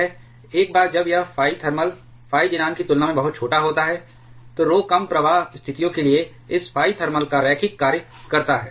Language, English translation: Hindi, Once this phi thermal is extremely small compared to the phi xenon, then rho is found to be a linear function of this phi thermal for low flux situations